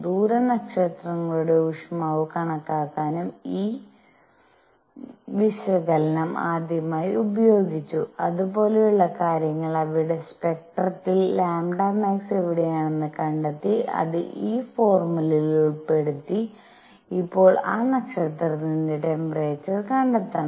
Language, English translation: Malayalam, This analysis was also used for the first time to estimate the temperature of distance stars, and things like those because you have to find in their spectrum where lambda max is and put that in this formula and find the temperature of that now that star